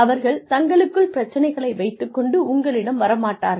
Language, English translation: Tamil, They will not come to you, with their problems